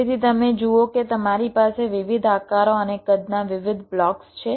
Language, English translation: Gujarati, so you see, you have different blocks a various shapes and sizes